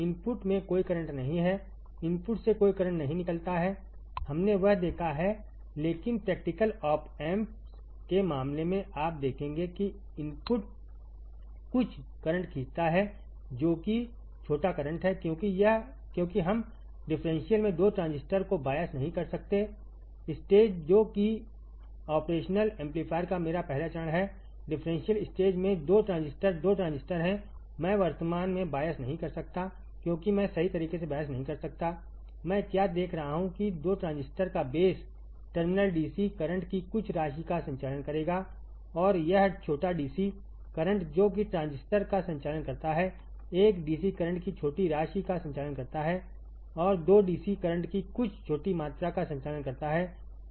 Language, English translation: Hindi, The input draws no current right the input draws no current, we have seen that, but in case of practical op amps you will see that the input draws some amount of current that the small current is because we cannot bias the 2 transistor in the differential stage which is my first stage of the operational amplifier there are 2 transistor in differential stage the 2 transistors, I cannot bias currently because I cannot bias correctly, what I see is that the base terminal of the 2 transistors will conduct some amount of DC current and this small DC current that it conducts the transistor one is conducting small amount of DC current and 2 is conducting some small amount of DC current this current is denoted by I b 1 and I b 2, I b 1 and I b 2, all right, I b 1 and I b 2